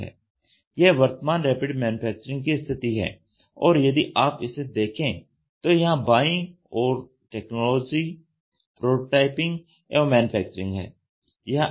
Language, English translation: Hindi, This is the current Rapid Manufacturing status and if you look at it this is where technology, prototyping and manufacturing is there